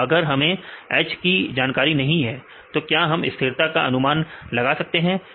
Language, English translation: Hindi, So, we if H is known whether you can predict the stability right